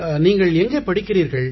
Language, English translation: Tamil, And where do you study